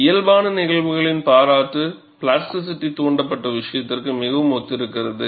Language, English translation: Tamil, The physical appreciation phenomena is very similar to plasticity induced case